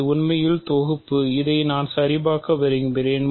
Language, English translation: Tamil, This is actually composition, we want to check this